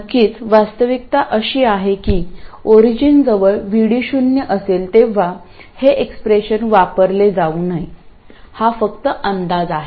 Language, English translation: Marathi, Of course the reality is that near the origin near VD equal to 0 this expression should not even be used